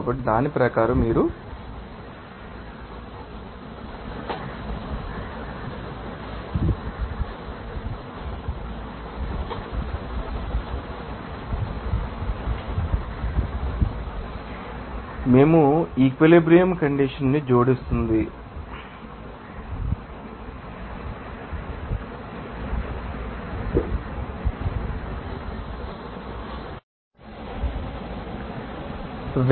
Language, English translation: Telugu, So, according to that you can have